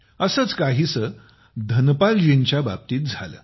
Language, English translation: Marathi, Something similar happened with Dhanpal ji